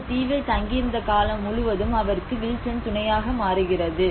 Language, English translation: Tamil, And Wilson becomes a company for him throughout his stay in that island